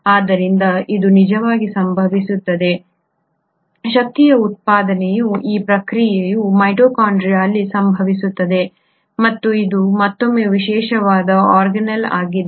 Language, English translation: Kannada, So this actually happens, this process of energy generation happens in the mitochondria and it is again a very specialised organelle